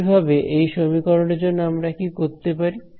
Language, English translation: Bengali, Similarly now for this expression, what can we do